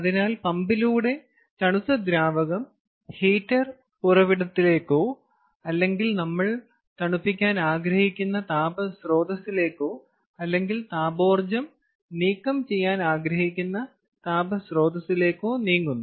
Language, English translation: Malayalam, so, therefore, what we needed was we needed a pump to pump the cold liquid back to the heater source, or the, or the heat source that we want to cool, or or the source of heat from where we want to remove thermal energy